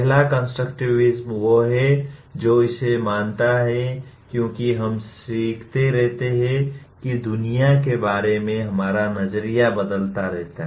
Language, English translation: Hindi, First constructivism is what it believes is as we keep learning our view of the world keeps changing